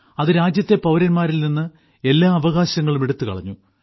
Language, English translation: Malayalam, In that, all the rights were taken away from the citizens of the country